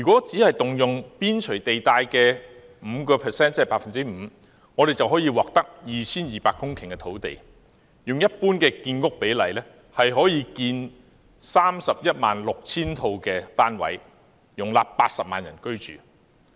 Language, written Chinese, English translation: Cantonese, 只是動用邊陲地帶的 5%， 便可以獲得 2,200 公頃土地，按照一般的建屋比例，可建 316,000 個單位，容納80萬人居住。, Merely 5 % of the periphery already yields 2 200 hectares of land . Following the general housing production ratio 316 000 units can be builts to house 800 000 people